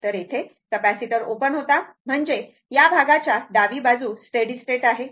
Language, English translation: Marathi, So, capacitor here was open; I mean steady state for this part left hand side right